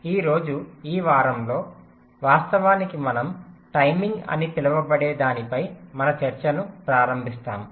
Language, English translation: Telugu, ah, today, in this week actually, we shall be starting our discussion on something called timing closer